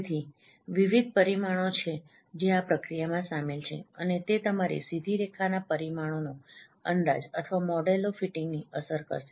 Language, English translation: Gujarati, So there are various parameters those are involved in this process and that will affect your estimation of straight line parameters or estimation or fitting the models